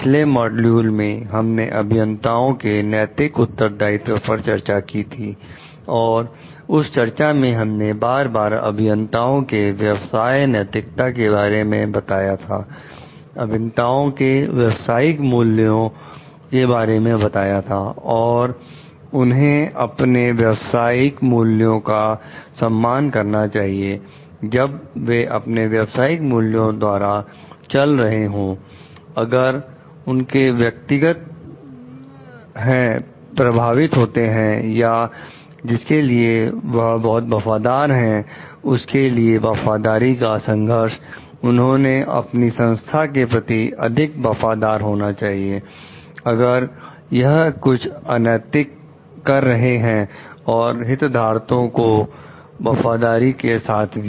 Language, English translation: Hindi, In the previous module, we have discussed about the Ethical Responsibilities of the Engineers and there in that discussion with time and again , we have mentioned about the professional ethics of the engineers, professional values of the engineers and they should be respecting their professional values when and they should move by their professional values, if they are facing any conflict of interest or conflict of loyalty towards like whom they are more loyal should be more loyal to the organization, if it is doing something unethical and the loyalty to the stakeholders at large